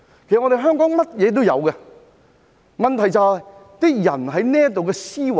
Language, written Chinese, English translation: Cantonese, 其實，香港甚麼也有，問題在於我們的思維。, In fact Hong Kong has everything and the problem lies in our mindset